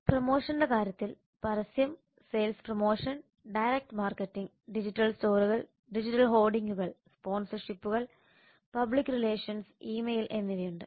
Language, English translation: Malayalam, then in terms of promotion there is advertisement sales promotion direct marketing there are digital stores there are digital hoardings sponsorships public relations and e mail so all these are used for the promotion of telecom services